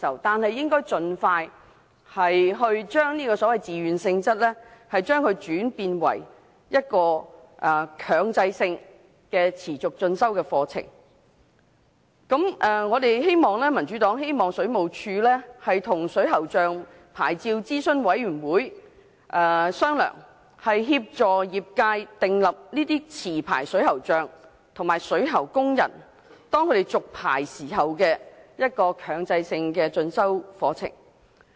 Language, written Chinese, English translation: Cantonese, 但亦應該盡快改為推行強制性持續進修課程。民主黨希望水務署跟水喉匠牌照諮詢委員會商討，協作業界訂立機制，規定持牌水喉匠及水喉工人續牌時修讀強制性進修課程。, The Democratic Party calls on the Government to discuss with the Advisory Board on Licensing of Plumbers to facilitate the formulation of a mechanism in the trade making it mandatory for licensed plumbers and plumbing workers to attend continuing professional development programmes in their licence renewal